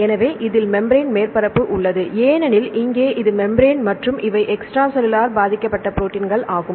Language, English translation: Tamil, So, I have the membrane surface because here; this is the membrane and these are the proteins which are embedded in the membrane